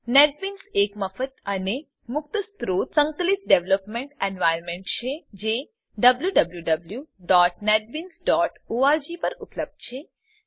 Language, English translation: Gujarati, Netbeans is a free and open source Integrated Developement Environment available at www.netbeans.org It allows for integration of various components